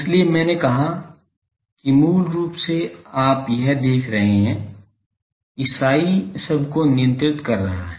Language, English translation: Hindi, So, I said that basically you see this psi is governing the whole thing